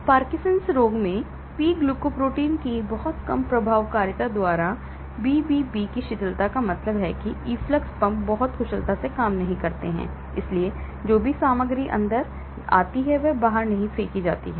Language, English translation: Hindi, Parkinson disease; Dysfunction of the BBB by reduced efficacy of P glycoprotein that means the efflux pumps do not work very efficiently, so whatever material come inside do not get thrown out